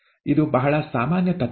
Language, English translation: Kannada, This is a very general principle